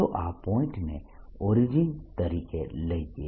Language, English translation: Gujarati, let us take this point to be origin, all rights